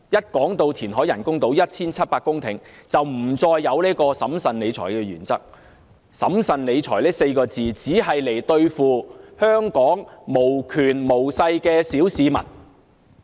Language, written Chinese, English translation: Cantonese, 當提到填海 1,700 公頃興建人工島時，政府便不再堅持審慎理財的原則，"審慎理財"這4個字，只是用來對付香港無權無勢的小市民。, When it comes to the implementation of reclamation projects for the construction of artificial islands with an area of 1 700 hectares the Government no longer upholds the principle of fiscal prudence the so - called principle of fiscal prudence is just used to deal with the powerless in Hong Kong